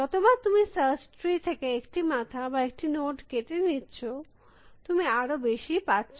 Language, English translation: Bengali, Every time, you cut one head or one node from the search tree, you get many more